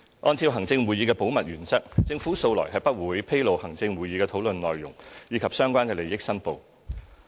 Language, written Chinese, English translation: Cantonese, 按照行政會議的保密原則，政府素來不會披露行政會議的討論內容，以及相關的利益申報。, In line with the principle of confidentiality of the ExCo the Government does not disclose the content of ExCo discussions or the related declarations of interests